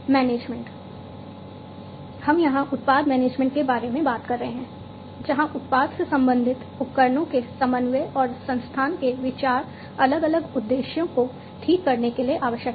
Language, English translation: Hindi, Management, we are talking about product management over here, where, you know, the considerations of coordination and institution of product related devices are important it is required to fix different objectives